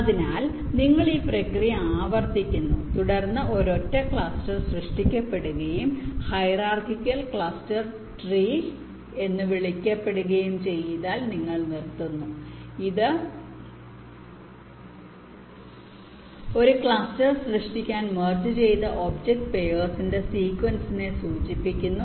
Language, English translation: Malayalam, so you repeat this process and you stop when, subsequently, a single cluster is generated and something called a hierarchical cluster tree has been formed, a cluster tree which indicates this sequence of object pairs which have been merged to generate the single cluster